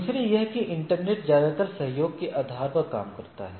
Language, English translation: Hindi, Secondly, that internet works most of the things works on a cooperating basis